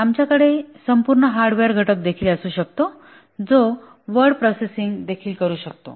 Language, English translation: Marathi, We can even have a small hardware component, entirely hardware, which can also do this word processing